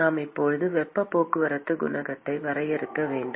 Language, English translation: Tamil, We have to now define a heat transport coefficient